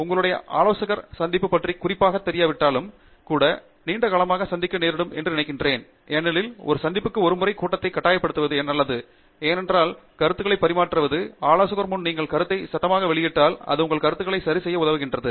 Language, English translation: Tamil, I think it helps in the long run to meet regularly even if your advisor is not particular about meeting, it’s good to force a meeting once in a while because there the exchange of ideas, just you voicing out the idea, just saying it out loud in front of an advisor helps a lot in clearing things in your head